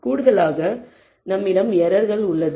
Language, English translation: Tamil, In addition we also have an error